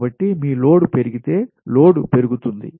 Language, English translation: Telugu, so load growth is always there